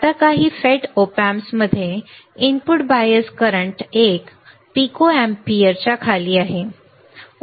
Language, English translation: Marathi, Now, some FET op amps have input bias current well below 1 pico ampere ok